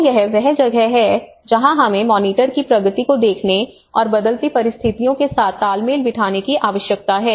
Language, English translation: Hindi, So this is where we need to see the monitor progress and adjust to changing circumstances